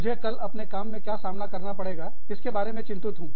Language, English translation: Hindi, I am worried about, what i will face tomorrow, at work